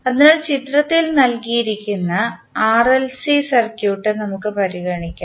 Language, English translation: Malayalam, So, let us consider the RLC circuit which is given in the figure